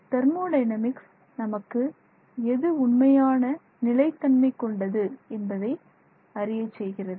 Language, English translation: Tamil, The thermodynamics tells us what is the stable phase